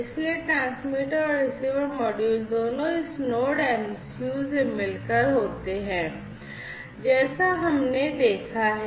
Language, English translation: Hindi, So, both the transmitter and the receiver modules consist of this NodeMCU as we have seen